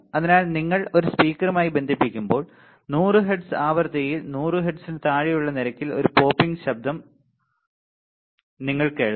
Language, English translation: Malayalam, So, when you connect a speaker and you will hear a popping sound at rate below 100 hertz below frequency of 100 hertz